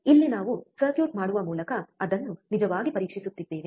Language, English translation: Kannada, Here we are actually testing it by making the circuit, right